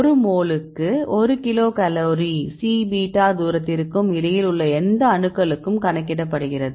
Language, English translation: Tamil, So, 1 kilocal per mole it is in between this C beta distance as well as with any atoms